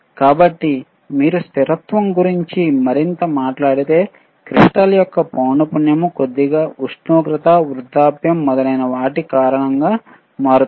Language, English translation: Telugu, So, if you talk about stability further, the frequency of the crystal tends to change stability change slightly with time due to temperature, aging etcetera